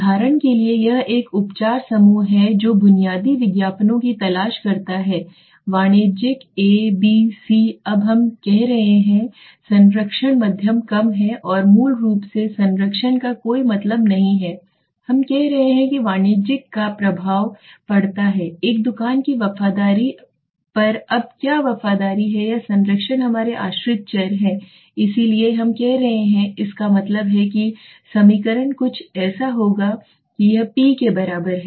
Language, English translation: Hindi, This is for example this is a treatment group let us seek basic commercials okay commercial A, B, C now we are saying patronage is heavy medium low and none basically patronage means loyalty okay none simply understand so what we are saying does the commercial have an effect on the loyalty of a store now what loyalty is loyalty or patronage is our dependent variable so we are saying that means the equation would look something like this P is equal